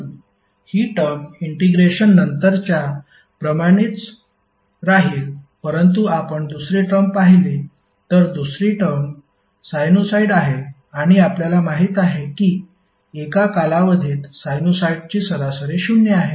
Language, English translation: Marathi, So this term will remain same as it is after integration but if you see the second term second term is sinusoid and as we know that the average of sinusoid over a time period is zero